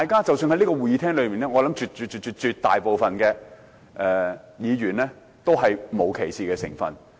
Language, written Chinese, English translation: Cantonese, 即使在這個會議廳裏面，我相信絕大部分議員也沒有歧視同性戀者。, Even in this Chamber I believe the absolute majority of Members do not discriminate against homosexuals